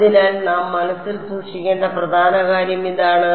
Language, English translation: Malayalam, So, this is the important thing that we have to keep in mind